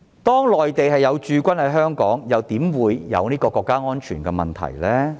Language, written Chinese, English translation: Cantonese, 當內地有駐軍在港，又怎會有國家安全問題呢？, When there is a Mainland garrison in Hong Kong how can we have national security issues?